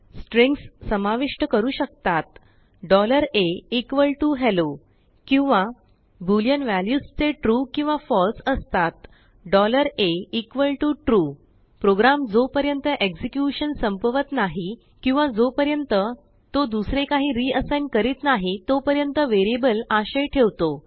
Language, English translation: Marathi, strings $a=hello or boolean values that is true or false $a=true Variable keeps the content until program finishes execution or until it is reassigned to something else